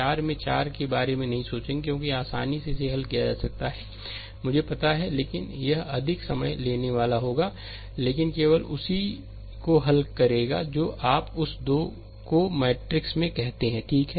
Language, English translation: Hindi, Will not think about 4 into 4 because easily it can be solve I know, but it will be more time consuming, but will solve only upto your what you call that 3 into 3 matrix, right